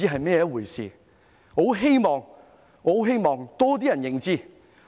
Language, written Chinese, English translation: Cantonese, 我十分希望有更多人認識。, I very much hope that more people will understand it